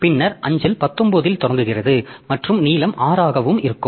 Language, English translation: Tamil, Then mail is starting at 19 and length is 6